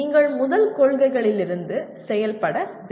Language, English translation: Tamil, You have to work out from the first principles